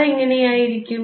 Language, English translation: Malayalam, So, that should be